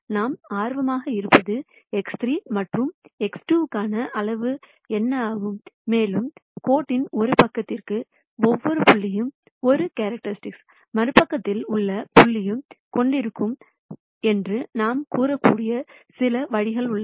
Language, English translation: Tamil, What we are interested in, is what happens to this quantity for X 3 and X 2, and is there some way in which we can say that every point to one side of the line will have the same characteristic and every other point on the other side of the line will have a di erent characteristic